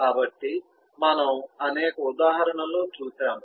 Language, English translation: Telugu, so we have seen several examples of that